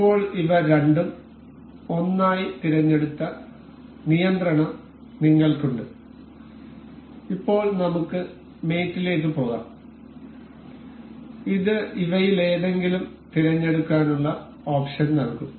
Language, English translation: Malayalam, Now, we have control selected both of these as 1 and now we can go to mate, this will give us option to select any one of these